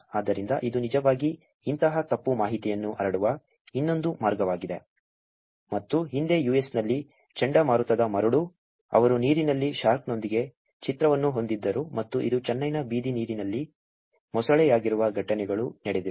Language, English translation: Kannada, So, this is another way by which actually such mis information is being spread and there have been incidences in the past where hurricane sandy in the US, where they had a picture with the shark in the water and this is crocodile in the water in the street in Chennai